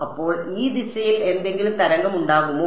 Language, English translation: Malayalam, So, will there any be any wave in this direction